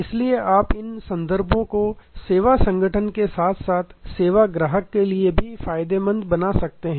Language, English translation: Hindi, So, you can therefore, make these references beneficial to the service organization as well as the service customer